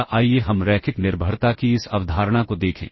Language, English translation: Hindi, Or let us look at this concept of linear dependence